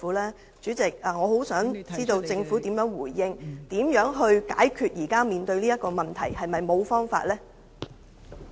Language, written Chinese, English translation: Cantonese, 代理主席，我想知道政府的回應，如何解決現時面對的問題，是否沒有辦法呢？, Deputy President I want to know the Governments response on how this problem can be solved . Is there nothing it can do about this?